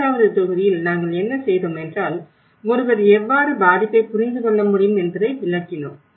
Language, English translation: Tamil, The second module, what we did was the, how one can understand the vulnerability